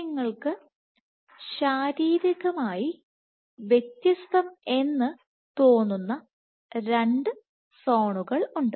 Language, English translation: Malayalam, So, you have two zones which seem to be physically distinct